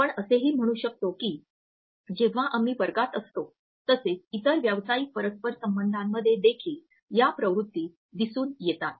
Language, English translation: Marathi, We can also say that these tendencies are reflected in our classroom also when we are engaging a class as well as in other professional interpersonal settings